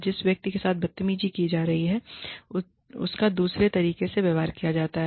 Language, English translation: Hindi, The person, who is being bullied, is treated another way